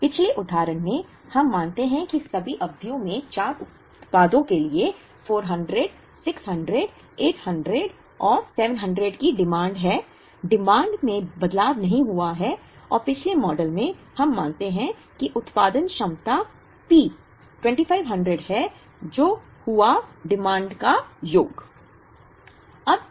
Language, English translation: Hindi, In the previous example, we assume that the demands 400, 600, 800 and 700 for the 4 products in all the periods, the demand did not change and in the previous model, we assume that the production capacity P is 2500, which happened to be the sum of the demands